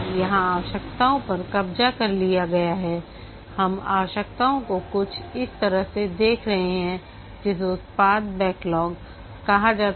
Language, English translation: Hindi, We are looking at the requirement stack, something like that which is called as a product backlog